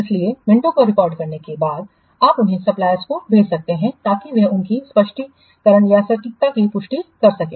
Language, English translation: Hindi, So, after recording the minors, you can send them to the suppliers in order to get them to confirm their accuracy